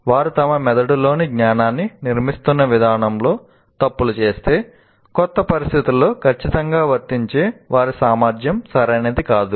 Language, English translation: Telugu, If they make mistakes in the way they're constructing the knowledge in their brain, then what happens is their ability to apply accurately in a new situation will not be, will not be right